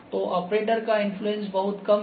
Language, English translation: Hindi, So, operator influence is very less